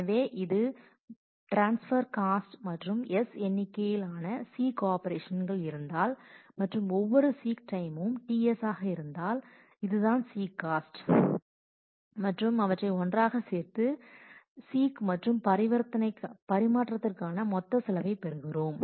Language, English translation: Tamil, So, this is the transfer cost and if there are S number of seeks and every seek time is t S, then this is the seeking cost and adding them together we get the total cost of seek and transfer